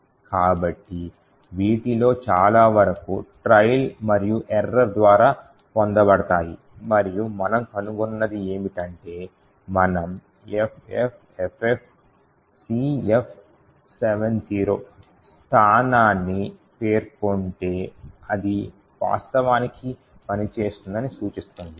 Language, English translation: Telugu, So, lot of this is obtained by trial and error and what we found that is if we specify the location FFFFCF70 it would indicate it would actually work